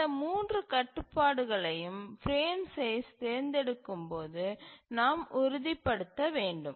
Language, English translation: Tamil, So, these are the three constraints we must ensure when we want to select the frame size